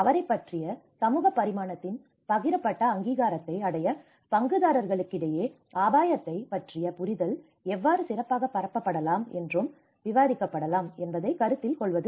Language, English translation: Tamil, To consider how the understanding of risk can be better circulated and discussed among stakeholders to reach a shared recognition of the social dimension of risk